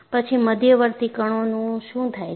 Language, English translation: Gujarati, Then, what happens to intermediate particles